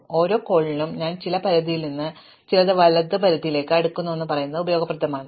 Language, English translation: Malayalam, So, it is useful to say for each call that I am sorting from some left limit to some right limit